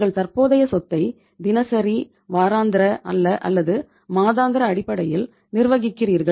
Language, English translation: Tamil, You are you are managing the current asset sometime on the daily, weekly, or monthly basis